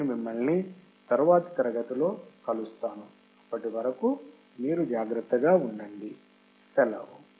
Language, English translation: Telugu, And I will see you in the next class, till then you take care, bye